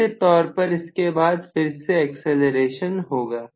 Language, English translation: Hindi, Then definitely another acceleration will take place